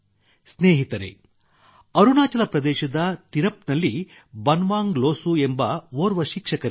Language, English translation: Kannada, Friends, Banwang Losu ji of Tirap in Arunachal Pradesh is a teacher